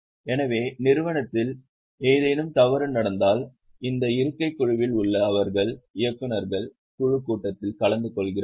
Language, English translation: Tamil, So, if something is wrong in the happening in the company, they sit on the board, they are attending board of directors meeting